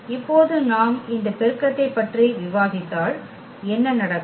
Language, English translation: Tamil, And now if we discuss this multiplication, so, what will happen